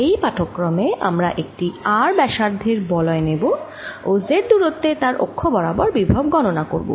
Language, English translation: Bengali, in this lecture we take a ring of radius r and calculate the potential on its axis at a distance, z